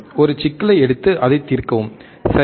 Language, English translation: Tamil, Take a problem and solve it, right